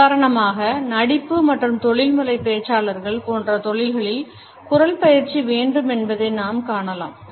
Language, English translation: Tamil, For example in professions like singing acting as well as for professional speakers we find that the voice has to be trained